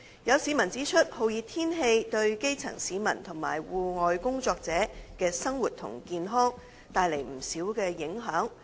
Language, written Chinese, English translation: Cantonese, 有市民指出，酷熱天氣對基層市民及戶外工作者的生活和健康帶來不少影響。, Some members of the public have pointed out that hot weather has brought considerable impacts on the daily lives and health of the grass roots and outdoor workers